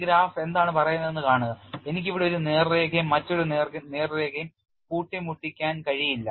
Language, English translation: Malayalam, See what does this graph says is I cannot have a straight line and another straight line meet in here